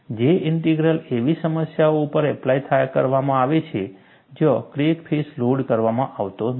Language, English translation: Gujarati, J Integral is applied to problems, where crack face is not loaded